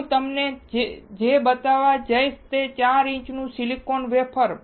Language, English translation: Gujarati, What I am going to show you all is this 4 inch silicon wafer